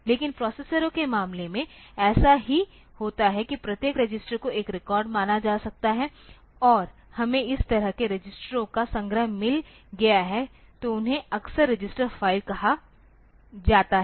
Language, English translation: Hindi, But in case of in case of processors so, we the same thing happens like each register can be considered to be a record and we have got a collection of such registers so, they are often called register file ok